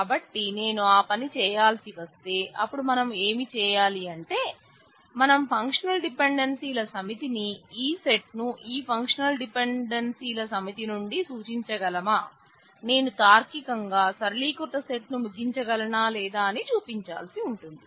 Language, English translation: Telugu, So, if I have to do that, then what we need to perform is, we need to show that given the set of functional dependencies, the original set whether this can imply this set that is from this set of functional dependencies, whether I can logically conclude the simplified set